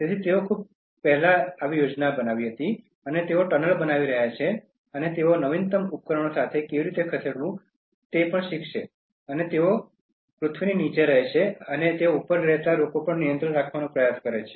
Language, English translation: Gujarati, So, they planned long before and they are making tunnels and they learn how to move with latest equipment, and they live under the earth and they try to control people who are living above